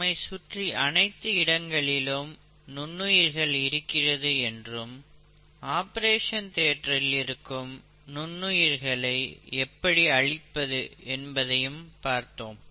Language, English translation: Tamil, Then we saw that these organisms are present everywhere, and started looking at how to get rid of them in an operation theatre